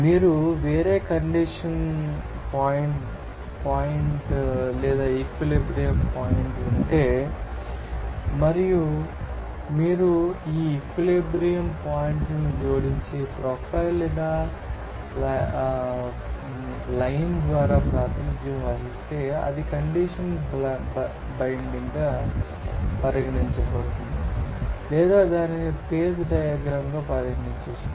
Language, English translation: Telugu, So, this you know, if you have different you know condition point or equilibrium point and if you add those equilibrium points and represented by a profile or line that will be regarded as condition blind or it can be considered as a page diagram